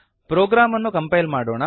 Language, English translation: Kannada, Let us now compile the program